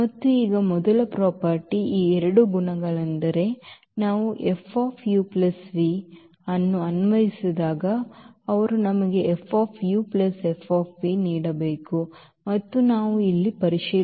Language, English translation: Kannada, And now these 2 properties of the first property is this that when we apply F on this u plus v they should give us F u plus F v and that we will check here